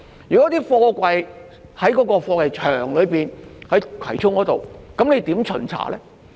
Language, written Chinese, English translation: Cantonese, 如果貨櫃是在葵涌的貨櫃場內，如何巡查呢？, How will inspections be conducted on containers in container yards located in Kwai Chung?